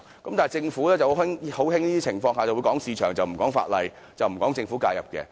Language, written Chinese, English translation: Cantonese, 但是，政府卻很喜歡在這種情況下談市場而不談法例、不談政府介入。, But under these circumstances the Government very much likes to talk about the market but not the law; nor does it talk about government intervention